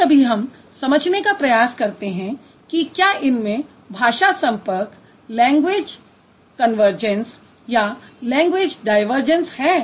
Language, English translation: Hindi, Sometimes we try to understand if there is a language contact, language convergence, language divergence